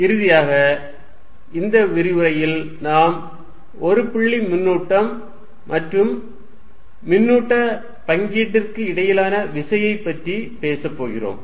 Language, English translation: Tamil, And finally, in this lecture we are going to talk about the force between a point charge and a charge distribution